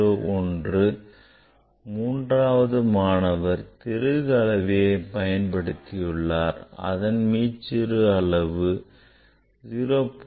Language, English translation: Tamil, 01 and third student use the screw gauge, and that is 0